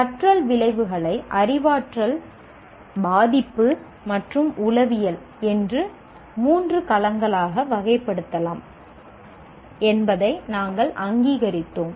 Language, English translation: Tamil, We recognized that the learning outcomes can be classified into three domains, namely cognitive, affective and psychomotor